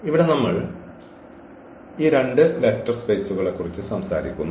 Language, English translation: Malayalam, So, here we talk about these 2 vector spaces